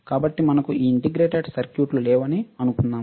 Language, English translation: Telugu, We do not have integrated circuits